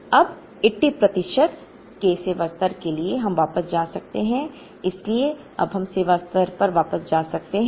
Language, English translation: Hindi, Now, for a service level of 80 percent we could go back so, we could now go back to service level is 80 percent